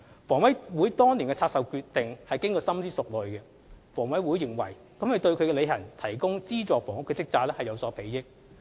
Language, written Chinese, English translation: Cantonese, 房委會當年的拆售決定是經過深思熟慮的，房委會認為這對其履行提供資助房屋的職責有所裨益。, HAs then decision to divest its properties was made after careful deliberation . HA was of the view that such a decision would be conducive to the discharge of its function as a provider of subsidized housing